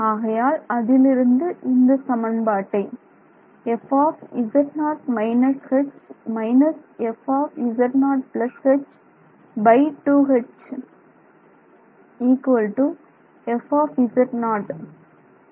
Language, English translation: Tamil, So, this is our first equation this is our second equation